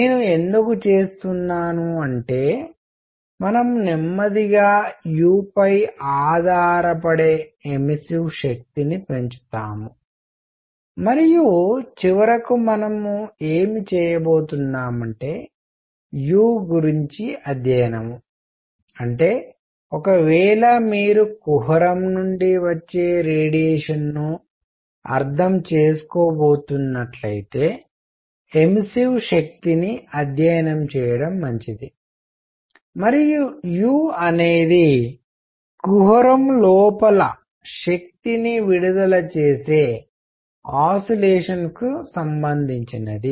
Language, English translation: Telugu, Why I am doing that is; slowly we will build up that the immersive power which will depend on u, and finally what we are going come is study u that is as good as studying the immersive power if you are going to understand the radiation coming out the cavity and u would be related to oscillators that are emitting energy inside the cavity